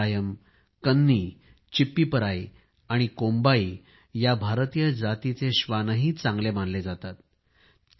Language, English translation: Marathi, Rajapalayam, Kanni, Chippiparai and Kombai are fabulous Indian breeds